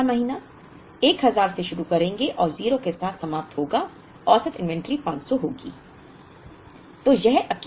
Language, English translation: Hindi, 3rd month we would begin with 1000 and end with 0 so, average inventory will be 500